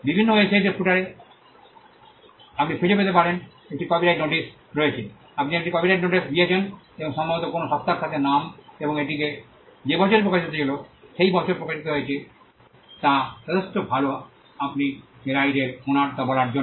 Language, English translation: Bengali, You might find in various websites in the footer there is a copyright notice, the fact that you have put a copyright notice and most likely with an entity is name and the year in which it was published and the fact that you are published is good enough for you to say that you are the owner of the right